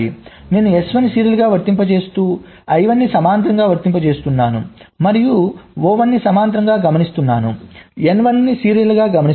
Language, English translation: Telugu, so i am applying s one serially, applying i one parallelly and observing o one parallelly, observing n one serially